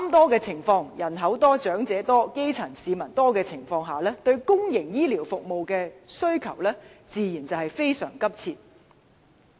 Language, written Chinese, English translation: Cantonese, 在人口多、長者多、基層市民多的"三多"情況下，該區對公營醫療服務的需求自然非常殷切。, Under the three largests circumstance―the largest number of people the largest number of elderly persons and the largest number of grass roots―the district naturally has a very keen demand for public healthcare services